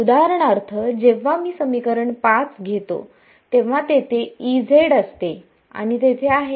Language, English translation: Marathi, So, for example, when I take equation 5 there is E z and there is